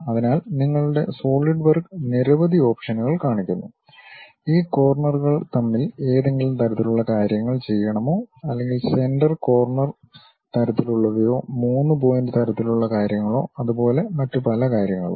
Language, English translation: Malayalam, So, your Solidwork shows variety of options whether you want this corner to corner kind of thing or perhaps center corner kind of things or 3 point kind of things and many more